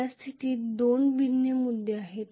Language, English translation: Marathi, There are two different points in the current